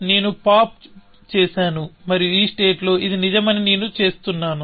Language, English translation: Telugu, I pop that and I see that is true in this state